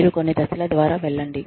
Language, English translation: Telugu, You go through, a series of steps